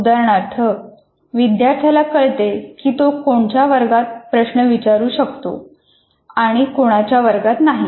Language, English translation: Marathi, For example, a student will know in which class he can actually ask a question and in which class he cannot